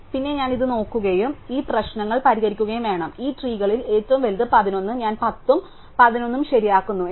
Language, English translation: Malayalam, Then, I have to look at this and fix these problems the biggest of this trees is 11 I fix the 10 and the 11 and I get it